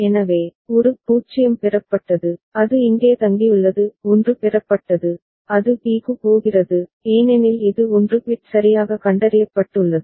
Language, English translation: Tamil, So, a 0 is received, it is staying here; 1 is received, it is going to b, because it is 1 bit properly detected